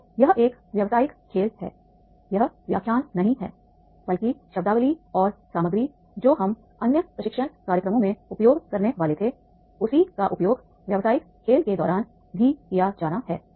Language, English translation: Hindi, So, this is a business game, this is not the lecture, but the terminology and the contents which we are supposed to use in the other training program, the same is to be used during the business game also